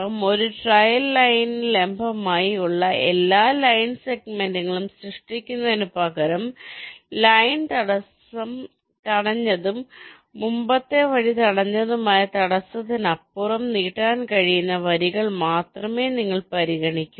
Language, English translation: Malayalam, so, instead of generating all line segments that have perpendicular to a trail line, you consider only those lines that can be extended beyond the obstacle which has blocked the line, blocked the preceding line